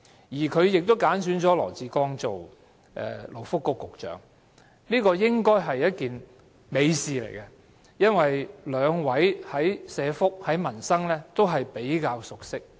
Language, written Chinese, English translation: Cantonese, 再者，她揀選了羅致光出任勞工及福利局局長，這應是一件美事，因兩位對社福和民生也較熟悉。, Moreover she has chosen LAW Chi - kwong as the Secretary for Labour and Welfare . This is good for both of them are relatively well - versed in issues of welfare and peoples livelihood